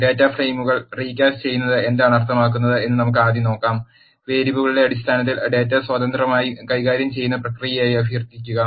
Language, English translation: Malayalam, Let us first see what is recasting of data frames means, requesting as a process of manipulating data free in terms of it is variables